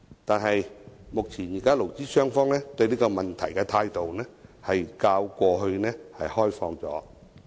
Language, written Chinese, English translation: Cantonese, 但是，目前勞資雙方對這個問題的態度較過去開放。, Nevertheless the attitude of employers and employees towards this matter is more open now